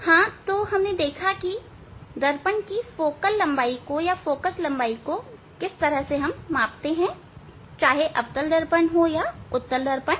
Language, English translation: Hindi, yes, so we have learned that how to measure the focal length of a mirror that is whether it is convex mirror, or it is a concave mirror